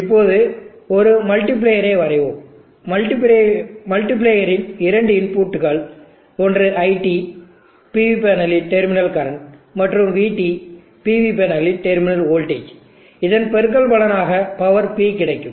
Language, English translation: Tamil, Let us now draw the multiplier, the two inputs of the multiplier are IT, the terminal current of the PV panel, and VT the terminal voltage of the PV panel, the resulting product is the power P